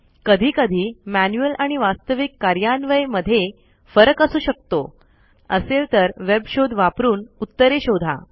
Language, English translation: Marathi, Sometimes there could be discrepancies between the manual and actual implementation, if so, do a web search and find answers